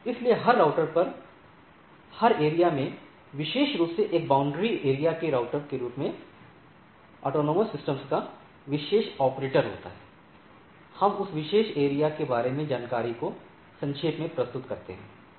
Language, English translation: Hindi, So, every router every area often particular operator of autonomous systems as a border area routers, we summarize the information about the about that particular area